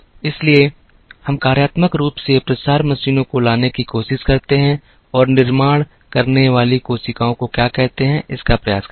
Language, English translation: Hindi, So, we try to bring functionally dissimilar machines and try to have what are called manufacturing cells